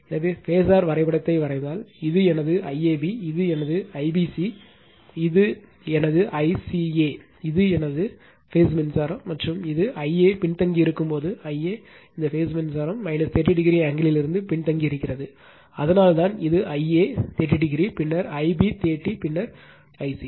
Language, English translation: Tamil, So, if you draw the phasor diagram, this is my I AB, this is my I BC this is my I CA, this is my phase current and this is when I a is lagging I a is lagging from this phase current angle minus 30 degree, that is why this is I a 30 degree then, I b 30 then I c